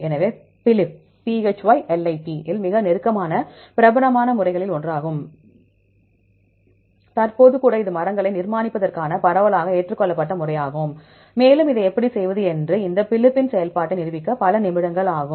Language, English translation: Tamil, So, on PHYLIP is one of the most popular methods, even currently it is a widely accepted method right for constructing trees and it will take few minutes to just demonstrate the functioning of these PHYLIP how to do this